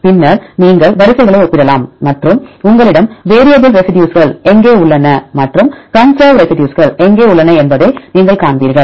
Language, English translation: Tamil, Then you can compare the sequences and you will see where you have the variable residues and where you have the conserved residues